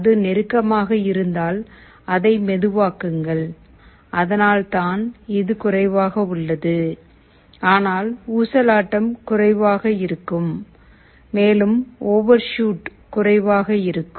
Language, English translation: Tamil, If it is closer you make it slower that is why it is lower, but oscillation will be less and also overshoot is less